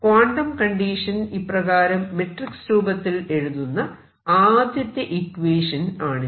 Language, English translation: Malayalam, So, that was the first equation; the quantum condition expressed in terms of matrices like this